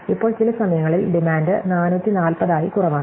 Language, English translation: Malayalam, Now, some times the demand is as low as 440